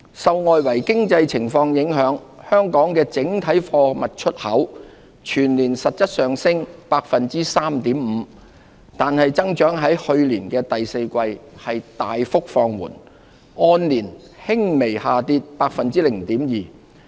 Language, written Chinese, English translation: Cantonese, 受外圍經濟情況影響，香港的整體貨物出口全年實質上升 3.5%， 然而增長在去年第四季大幅放緩，按年輕微下跌 0.2%。, Affected by the external environment Hong Kongs total exports of goods had an annual growth of 3.5 % in real terms but the growth in the fourth quarter decelerated resulting in a slight year - on - year decrease of 0.2 %